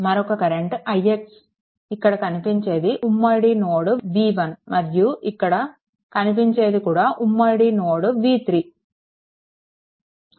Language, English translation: Telugu, Another thing is i x this is a common node v 1 and this is your also common node v 3 right